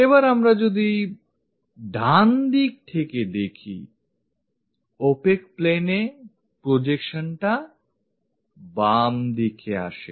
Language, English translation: Bengali, And if we are looking from right hand side,the projection on to the opaque plane comes at left side